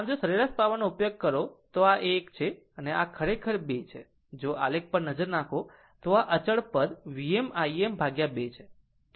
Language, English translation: Gujarati, So, if you take average power, then this one you are this is actually this 2 if you look at the plot, this is a constant term V m I m by 2 right